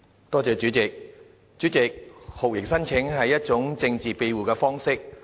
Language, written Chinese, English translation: Cantonese, 代理主席，酷刑聲請是一種政治庇護的方式。, Deputy President lodging torture claims is a means of seeking political asylum